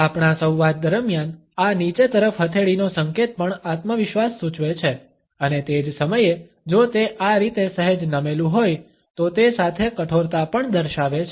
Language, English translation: Gujarati, During our dialogue, this down palm gesture also suggest a confidence and at the same time if it is slightly tilted in this fashion it also conveys a simultaneous rigidity